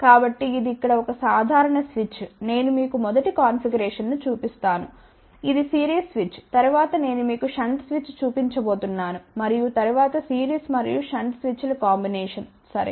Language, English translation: Telugu, So, that is a simple switch here we are showing you a first configuration which is a series switch later on I am going to show you shunt switch and then combination of series and shunt switches ok